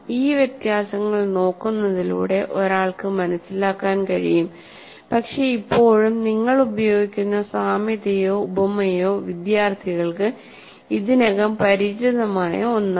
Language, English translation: Malayalam, So by looking at these differences, one will be able to understand, but still the analogy or the simile that you are using is something that students are already familiar with